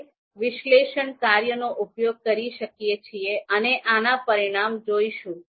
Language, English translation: Gujarati, So we can use this function analyze and we will see the results